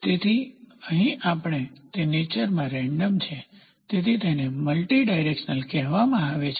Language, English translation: Gujarati, So, here we it is random in nature so, it is called as multidirectional